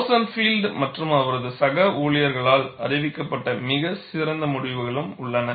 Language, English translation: Tamil, And there is also a very nice set of results reported by Rosenfield and his co workers